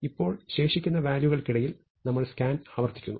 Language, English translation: Malayalam, Now, we repeat the scan among the remaining values